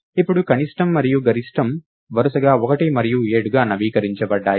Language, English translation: Telugu, Now min and max are updated to be 1 and 7 respectively